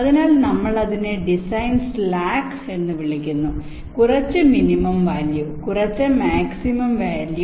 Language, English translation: Malayalam, so we call it a design slack, some minimum value and maximum value